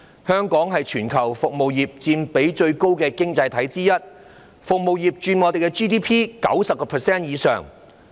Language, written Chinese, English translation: Cantonese, 香港是全球服務業佔比最高的經濟體之一，服務業佔香港 GDP 90% 以上。, Hong Kong is one of the economies with the highest percentage of service industry in the world with the service industry accounting for over 90 % of Hong Kongs GDP